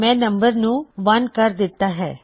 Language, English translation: Punjabi, Ive got the number set to 1